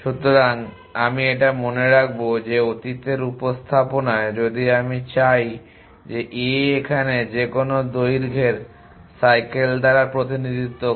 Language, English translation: Bengali, So, if will member that in the past representation if I what a located this representation by cycle of any length